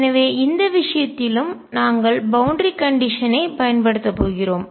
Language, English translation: Tamil, So, in this case also we are going to apply the boundary condition